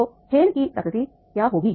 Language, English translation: Hindi, So, what will be the nature of game